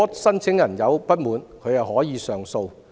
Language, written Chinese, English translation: Cantonese, 申請人如有不滿，可以提出上訴。, Applicants may lodge an appeal if they are dissatisfied